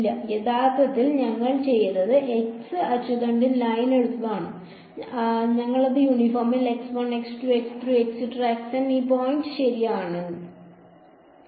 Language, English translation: Malayalam, No, not really what we did is we took the line over here the x axis, we chopped it out at uniform this points x 1 x 2 x 3 up to x N ok